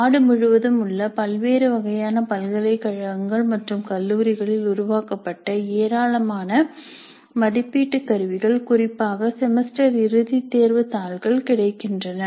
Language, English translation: Tamil, Now looking at a large number of assessment instruments generated in a wide variety of universities and colleges across the country, particularly the semester and exam papers are available across many institutes